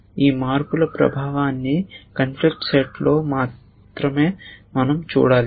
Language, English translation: Telugu, We only have to see the effect of these changes into the conflict set